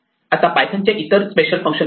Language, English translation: Marathi, Now python has other special functions